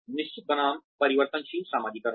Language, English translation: Hindi, Fixed versus variable socialization